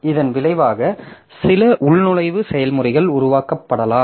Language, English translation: Tamil, So, as a result, there may be some login processes created